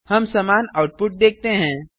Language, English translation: Hindi, We see the same output